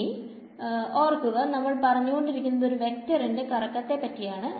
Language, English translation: Malayalam, Now remember we are talking about the swirl of a vector right